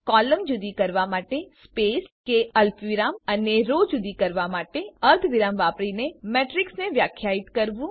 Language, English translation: Gujarati, Define a matrix by using space or comma to separate the columns and semicolon to separate the rows